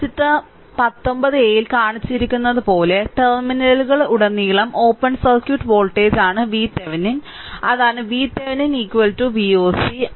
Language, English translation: Malayalam, Similarly, thus V Thevenin is the open circuit voltage across the terminal as shown in figure 19 a; that is V Thevenin is equal to V oc right